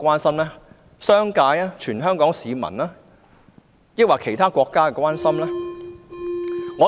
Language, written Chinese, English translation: Cantonese, 是商界、全港市民或其他國家的關心嗎？, Is he talking about the concerns of the business community all Hong Kong people or other countries?